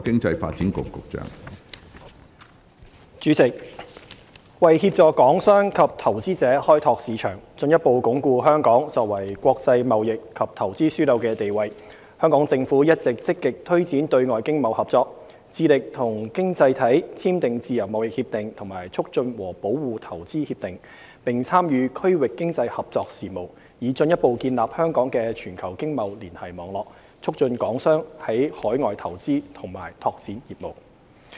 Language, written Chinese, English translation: Cantonese, 主席，為協助港商及投資者開拓市場，進一步鞏固香港作為國際貿易及投資樞紐的地位，香港政府一直積極推展對外經貿合作、致力與經濟體簽訂自由貿易協定及促進和保護投資協定，並參與區域經濟合作事務，以進一步建立香港的全球經貿連繫網絡，促進港商在海外投資和拓展業務。, President in order to assist Hong Kong businesses and investors in expanding markets and in further consolidating Hong Kongs role as an international trade and investment hub the Government has been proactively expanding external trade and economic cooperation signing Free Trade Agreements FTAs and Investment Promotion and Protection Agreements IPPAs with various economies . We have also actively participated in regional cooperation with a view to further establishing Hong Kongs global trade network assisting Hong Kongs businesses in overseas investment and expansion